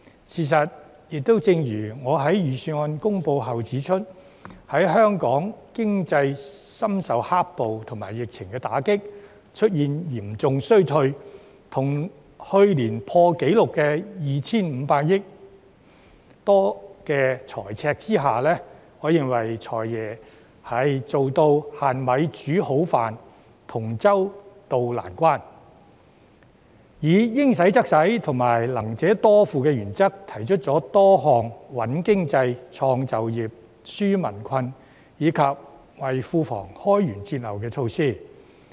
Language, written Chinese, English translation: Cantonese, 事實上，正如我在預算案公布後指出，在香港經濟深受"黑暴"和疫情打擊出現嚴重衰退，以及在去年破紀錄的 2,500 多億元財赤的情況下，我認為"財爺"做到"限米煮好飯"，同舟渡難關，並按照"應使則使"及"能者多付"的原則，提出了多項"穩經濟、創就業、紓民困"及為庫房開源節流的措施。, making new shapes out of none . In fact as I said after the Budget was announced while there was a serious economic recession under the impacts of black - clad violence the epidemic and a record - breaking fiscal deficit of more than 250 billion last year I think FS manages to prepare good meals with limited ingredients to help tide over difficulties together . And following the principles of spending appropriately and more contributions by the capable ones he has put forward a number of measures to stabilize the economy create employment opportunities and relieve peoples burden as well as broaden sources of income and cut expenditures